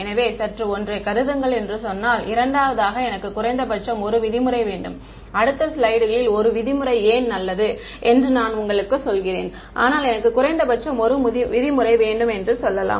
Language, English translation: Tamil, So, if let us say just assume for a second that I want a minimum 1 norm, the next slides I tell you why 1 norm is a good idea, but let us say I wanted minimum 1 norm